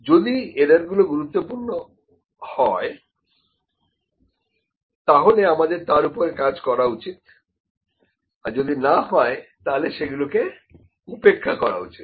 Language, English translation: Bengali, If the errors are significant, we need to work on that, if there were not significant we might ignore that